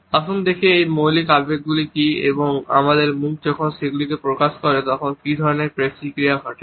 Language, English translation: Bengali, Let’s look at what are these basic emotions and what type of muscular activity takes place when our face expresses them